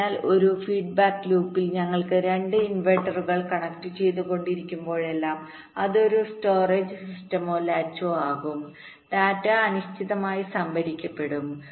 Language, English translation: Malayalam, so whenever we have two inverters connected in a feedback loop that will constitute a storage system or a latch, the data will be stored in